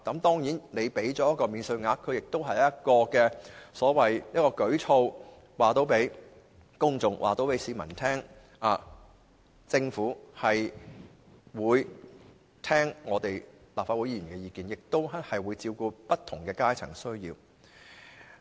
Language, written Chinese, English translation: Cantonese, 當然，給予他們免稅額亦是一項舉措，讓市民大眾知道，政府會聽取立法會議員的意見，亦會照顧不同階層的需要。, Certainly the provision of a tax allowance to PWDs is also an initiative that enables the general public to know that the Government will listen to the views of Legislative Council Members and cater to the needs of people of various social strata